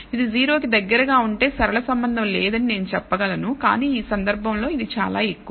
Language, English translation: Telugu, If it is close to 0 I would have said there is no linear relationship, but it is in this case it is very high